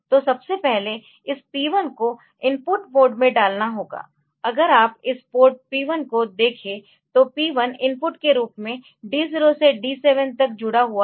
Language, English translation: Hindi, So, first of all this P 1 has to be put in the input mode ok, this if you look into this port P 1 is connected as input from D 0 to D 7